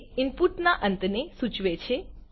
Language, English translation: Gujarati, It denotes the end of input